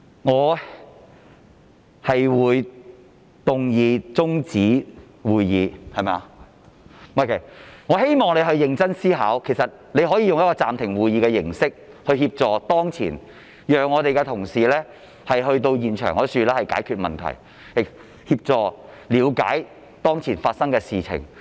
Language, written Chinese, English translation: Cantonese, 我會動議中止會議，但我希望你認真思考，其實你可以用暫停會議的形式協助當前情況，讓我們的同事能夠前往現場解決問題，協助了解當前發生的事情。, I will move an adjournment motion . Yet I hope that you will give serious consideration to suspend the meeting so that our colleagues can go to the scene to help in resolving the problem and understanding the current situation